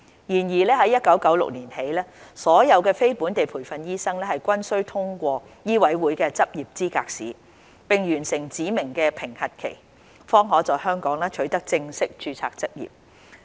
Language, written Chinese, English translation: Cantonese, 然而，自1996年起，所有非本地培訓醫生均須通過醫委會的執業資格試，並完成指明的評核期，方可在香港取得正式註冊執業。, However after 1996 all NLTDs are required to pass the Licensing Examination administered by MCHK and complete a specified period of assessment before they can be registered with full registration for practice in Hong Kong